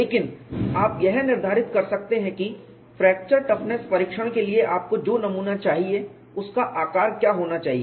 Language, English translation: Hindi, But you can determine what should be the size of the specimen that you want for fracture toughness testing